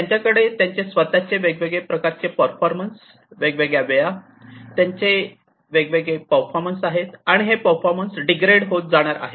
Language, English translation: Marathi, They will have their own different types of performance different times, they will have different performance; the performance are going to degrade etcetera